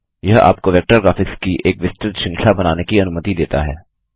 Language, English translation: Hindi, It allows you to create a wide range of vector graphics